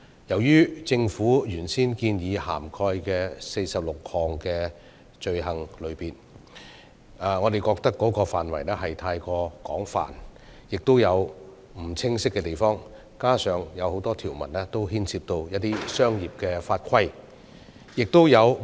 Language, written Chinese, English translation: Cantonese, 對於政府原先建議涵蓋的46項罪行類別，我們認為範圍過於廣泛，亦有不清晰的地方，加上多項條文牽涉一些商業法規。, In our view the coverage of 46 items of offences originally proposed by the Government has been too extensive and some areas have been ambiguous . Furthermore a number of provisions involve some commercial laws and regulations